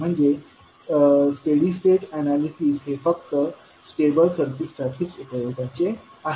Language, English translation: Marathi, So the study state analysis is only applicable to the stable circuits